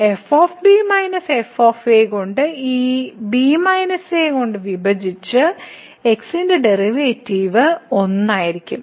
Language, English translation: Malayalam, So, here minus and divided by this minus and the derivative of will be